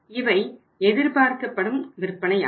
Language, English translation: Tamil, These are the expected sales